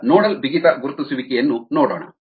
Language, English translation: Kannada, let us look at nodal rigidity identification